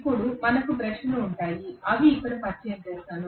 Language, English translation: Telugu, Now, we will have brushes which will make contact here